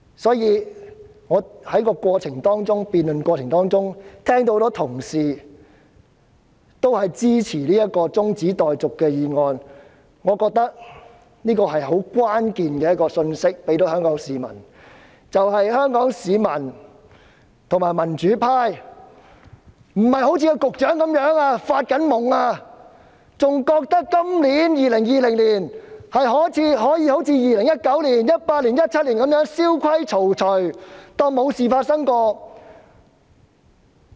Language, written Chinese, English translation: Cantonese, 聽到多位同事在辯論中表示支持中止待續議案，我認為這給予香港市民一項關鍵信息，便是香港市民及民主派並非一如局長般在發夢，仍然認為今年可以一如2019年、2018年及2017年般蕭規曹隨，當作沒事發生。, Upon hearing various Members indication of support for the adjournment motion in the debate I think a key message has been disseminated to Hong Kong people the very message that Hong Kong people and the democratic camp are not living in an illusory dream like the Secretary who still thinks that he can adopt the same approach this year 2020 as in 2019 2018 and 2017 as though nothing had ever happened